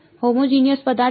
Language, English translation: Gujarati, Homogenous object right